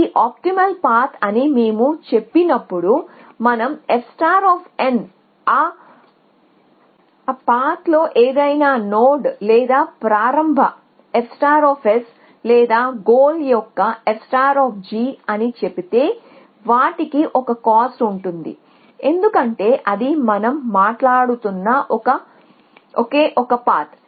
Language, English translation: Telugu, When we say this is optimal path then whether we say f star of n any node on that path or f star of start or f star of goal they have the same cost because this is only one path that we are talking about